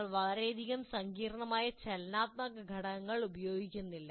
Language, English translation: Malayalam, So you don't have to have used too much complex dynamic elements in that